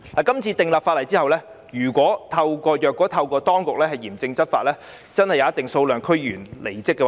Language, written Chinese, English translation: Cantonese, 今次訂立法例後，如果當局嚴正執法，真的會有一定數量的區議員離職。, If the authorities do enforce the law strictly there will be a certain number of DC members leaving office